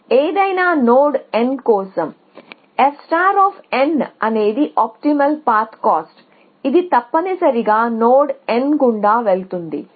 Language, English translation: Telugu, So, for any node n, f star of n is optimal cost optimal path cost which passes through the node n essentially